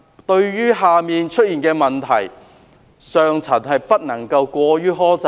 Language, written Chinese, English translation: Cantonese, 對於下層出現的問題，上層不能過於苛責。, Punishments meted out by the senior management on subordinates should not be too harsh